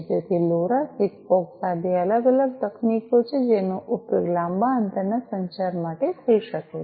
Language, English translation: Gujarati, So, LoRa, SIGFOX these are two different technologies that could be used for long range communication